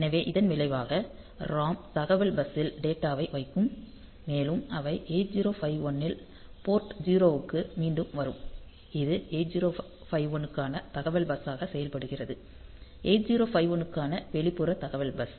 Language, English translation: Tamil, So, as a result the ROM will put the data on to the data bus and this they will come to again the port 0 of 8051; which is acting as the data bus for the 8051; the external data bus for the 8051